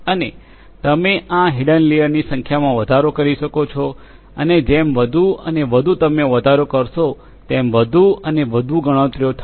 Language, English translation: Gujarati, And you know you can increase the number of these hidden layers and the more and more you increase, the more and more computations will be there